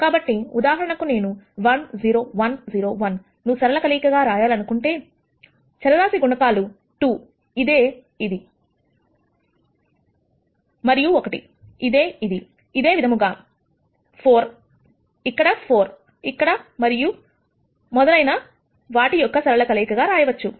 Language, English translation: Telugu, So, for example, if I want this to be written as a linear combination of 1 0 1 0 1, the linear combination the scalar multiples are 2 which is this, and 1 which is this similarly 4 here 4 here and so on